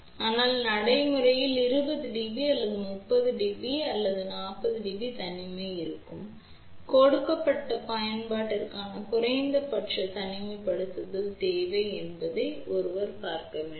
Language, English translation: Tamil, But, practically 20 dB or 30 dB or 40 dB isolation would be there one has to see what is the minimum isolation requirement for a given application